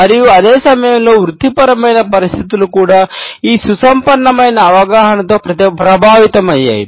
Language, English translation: Telugu, And, at the same time the professional settings were also influenced by this enriched understanding